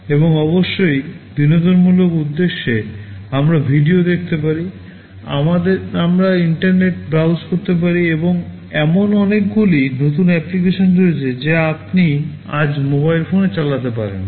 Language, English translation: Bengali, And of course, for recreational purposes we can watch video, we can browse internet, and there are so many new applications that you can run on mobile phones today